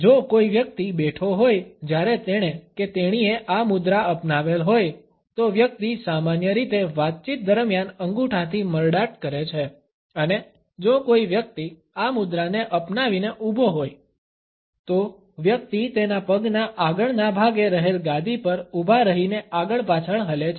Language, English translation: Gujarati, If a person is sitting while he or she is adopted this posture, the person normally twiddles with the thumb during talks and if a person is a standing adopting this posture, the person rocks on the balls of his feet